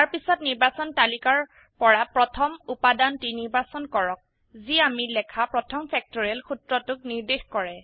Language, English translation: Assamese, Then choose the first item in the Selection list denoting the first factorial formula we wrote